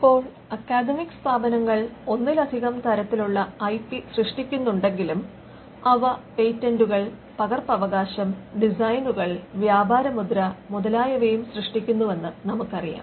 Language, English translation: Malayalam, Now though academic institutions generate more than one type of IP, we know instances where they generate patents, copyright, designs, trademark and new plant varieties